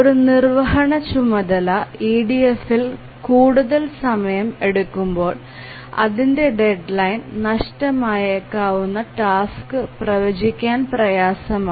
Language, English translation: Malayalam, So, when an executing task takes more time in EDF, it becomes difficult to predict which task would miss its deadline